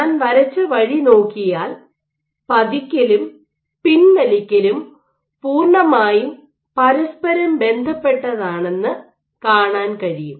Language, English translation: Malayalam, So, the way I have drawn it, you can see that the indent and retract are completely overlaying on each other